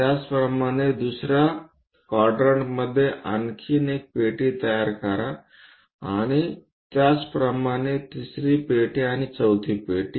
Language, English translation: Marathi, Similarly, construct one more box in the second quadrant and similarly, a 3rd box and a 4th box